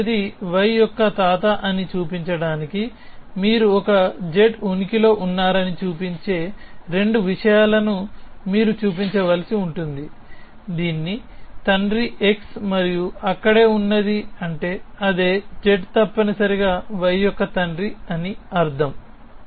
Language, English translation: Telugu, Now to show that x is a grandfather of y, you would have to show both those things that show that there exist a z whose father is x and there exist I mean that same z is a father of y essentially